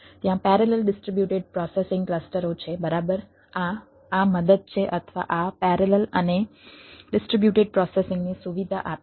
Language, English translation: Gujarati, there are parallel distributed processing clusters, right, these are these helps or these facilitates parallel and distributed ah processing